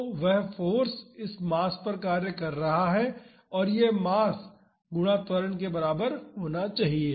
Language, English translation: Hindi, So, that is the force acting on this mass and this should be equal to mass times acceleration